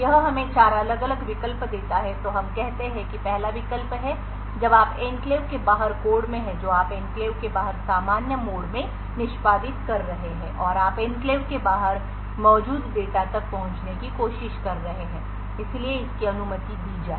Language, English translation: Hindi, So this leaves us four different alternatives so let us say the first is when you are in the code outside the enclave that is you are executing in normal mode outside the enclave and you are trying to access the data present outside the enclave, so this should be permitted